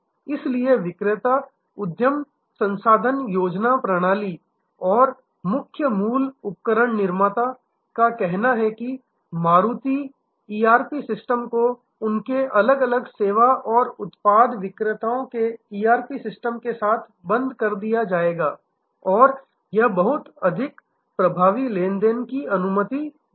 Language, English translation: Hindi, So, the vender ERP system and the main OEM say Maruti ERP system will be locked in with the ERP system of their different service and product venders and that will allow much more effective transaction